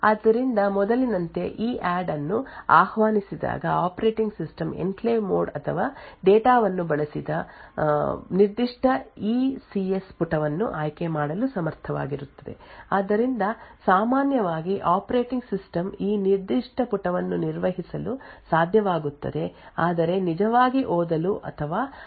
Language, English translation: Kannada, So as before when EADD is invoked the operating system would is capable of selecting a particular ECS page where the enclave code or data is used, so typically the operating system would be able to manage this particular page but would not be able to actually read or write the contents of that page